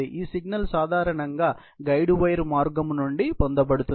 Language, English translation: Telugu, This signal is typically, obtained from a guide wire path